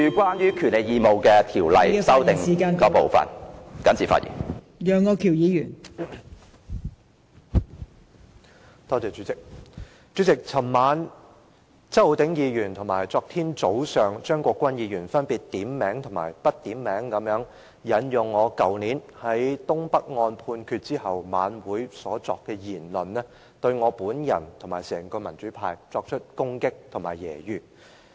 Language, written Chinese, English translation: Cantonese, 代理主席，周浩鼎議員和張國鈞議員分別於昨晚和昨天早上，點名和不點名地引用我去年於東北案判決後在晚會上所作的言論，對我和整個民主派作出攻擊和揶揄。, Deputy Chairman last night and yesterday morning with or without mentioning my name Mr Holden CHOW and Mr CHEUNG Kwok - kwan respectively quoted a remark made by me last year in the night rally after the judgment of the case concerning the protest against the North East New Territories development was handed down . They attacked and ridiculed me and the whole pro - democracy camp